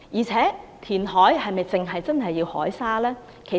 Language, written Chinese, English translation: Cantonese, 此外，填海是否只可以用海沙？, Besides is sea sand the only material used for reclamation?